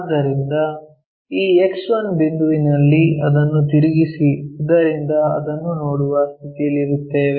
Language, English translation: Kannada, So, fix this X1 point and rotate it so that we will be in a position to see that